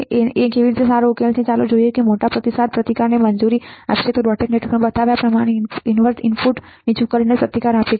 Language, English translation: Gujarati, A how is a good solution let us see this will allow large feedback resistance while keeping the resistance to the ground see by inverting input low as shown in the dotted network